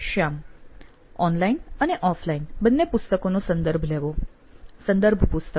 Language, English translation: Gujarati, Referring online as well as offline books like book a reference book